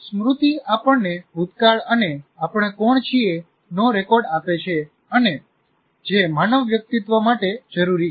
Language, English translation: Gujarati, So memory gives us a past and a record of who we are and is essential to human individuality